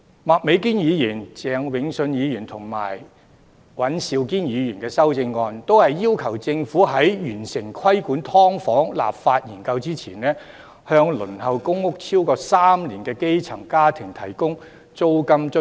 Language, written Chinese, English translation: Cantonese, 麥美娟議員、鄭泳舜議員和尹兆堅議員的修正案均要求政府在完成規管"劏房"立法研究之前，向輪候公屋超過3年的基層家庭提供租金津貼。, Ms Alice MAK Mr Vincent CHENG and Mr Andrew WANs amendments all request the Government to before completing the study on legislation for regulation of subdivided units provide a rental allowance for grass - roots families waitlisted for PRH for over three years